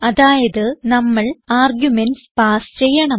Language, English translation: Malayalam, So we need to pass arguments